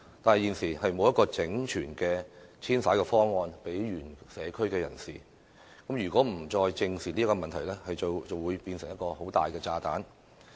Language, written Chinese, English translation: Cantonese, 可是，現時欠缺一個整全的方案為原社區人士作遷徙安排，如果政府再不正視這問題，便會演變成一個大炸彈。, Nevertheless it currently lacks a holistic approach to arranging for the relocation of those people originally living in the communities . If the Government still fails to address this issue squarely it will develop into a big bomb